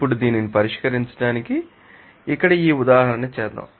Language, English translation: Telugu, Now, let us do this example here to solve